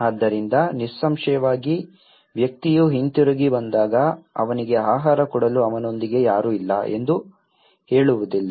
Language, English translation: Kannada, So obviously, when the person comes back he will not say that no one is there with him you know, to give him food